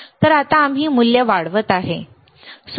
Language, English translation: Marathi, So now, we are increasing the value, right